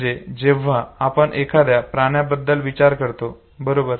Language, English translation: Marathi, So when you think of an animal, okay